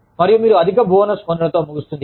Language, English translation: Telugu, And, you end up, getting a higher bonus